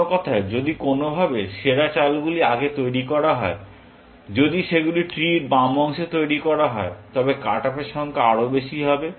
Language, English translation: Bengali, In other words, if somehow, the best moves are made earlier, if they are made in the left part of the three, then the number of cut offs will be more